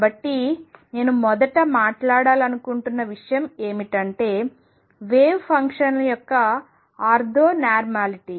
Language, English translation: Telugu, So, first in that I want to talk about is the ortho normality of wave functions